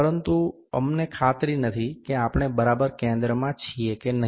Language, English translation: Gujarati, But, we are not sure that are we exactly at the center or not